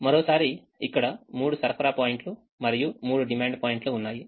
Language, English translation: Telugu, once again there are three supply points and three demands points